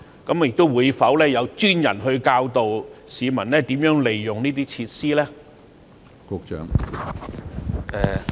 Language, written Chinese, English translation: Cantonese, 政府會否派專人教導市民如何使用這些設施呢？, Will the Government specifically assign staff to teach the residents how these facilities are used?